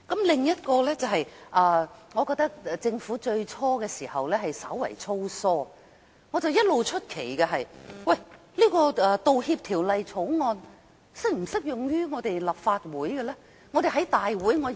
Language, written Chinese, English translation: Cantonese, 另一點，我覺得政府在初時較為粗疏，我一直感到好奇，想知道《條例草案》是否適用於立法會？, Another point I want to raise is when the Government introduced the Bill its drafting was quite loose . Actually I have been curious to know if the Bill is applicable to the Legislative Council